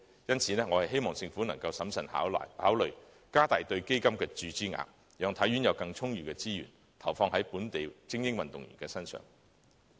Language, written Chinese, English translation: Cantonese, 因此，我希望政府能審慎考慮增加對基金的注資額，讓體院有更充裕的資源，投放在本地精英運動員身上。, As such I hope that the Government can prudently consider increasing the amount of injection into the fund to enable HKSI to have more abundant resources for commitment to local elite athletes